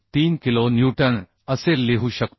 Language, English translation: Marathi, 3 kilonewton that means 90